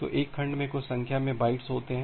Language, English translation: Hindi, So, a segment contains certain number of bytes